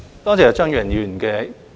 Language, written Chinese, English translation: Cantonese, 多謝張宇人議員的意見。, I thank Mr Tommy CHEUNG for his comments